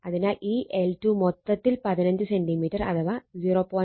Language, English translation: Malayalam, So, so here it is your L 2 is equal to then it is 15 centimeter 0